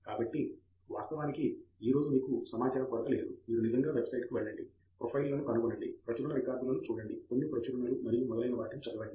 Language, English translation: Telugu, So then of course, today there is no dearth of information you can really go to website, find out the profiles, check out the publication record even probably read a couple of publications and so on